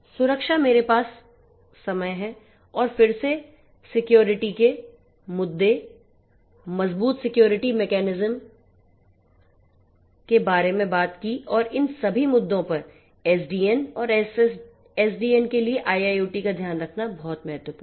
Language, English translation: Hindi, Security I have time in again talked about security, security issues, robust security mechanisms taking care of all of these different issues of SDN and SDNO for IIoT is very important